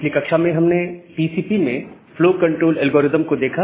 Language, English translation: Hindi, So, in the last class, we have looked into the flow control algorithms in TCP